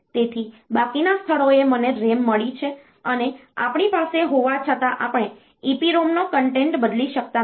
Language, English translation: Gujarati, So, rest of the places I have got RAM and since we would have we cannot change the content of EPROM